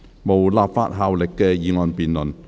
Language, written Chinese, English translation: Cantonese, 無立法效力的議案辯論。, Debates on motions with no legislative effect